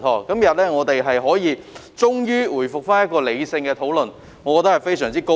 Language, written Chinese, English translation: Cantonese, 今天我們終於可以回復理性討論，我感到非常高興。, I am very pleased that we are finally able to resume rational discussion today